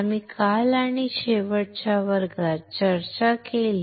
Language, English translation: Marathi, We discussed yesterday or in the last class